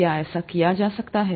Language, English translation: Hindi, Can that be done